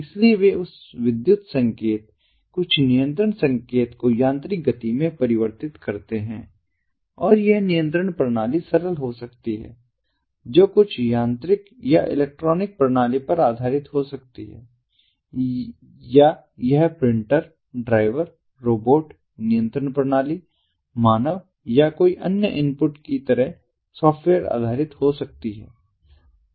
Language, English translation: Hindi, and that control system can be simple, which can be based on some mechanical or electronic system, or it can be software based, like a printer, driver, robot control system, a human or any other input